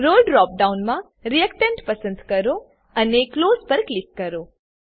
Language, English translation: Gujarati, In the Role drop down, select Reactant and click on Close